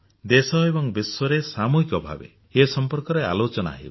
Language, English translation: Odia, These are discussed collectively in the country and across the world